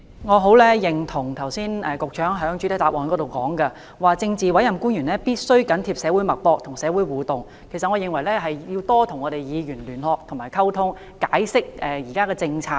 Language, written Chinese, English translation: Cantonese, 我很認同剛才局長在主體答覆中指出的一點，就是政治委任官員必須緊貼社會脈搏、與社會互動，我認為他們也要與議員加強聯絡和溝通，解釋現時政策。, I strongly agree with the point made by the Secretary in the main reply just now ie . politically appointed officials must keep their fingers on the pulse of the society and interact with the community and I think that they should also enhance liaison and communication with Members and explain current policies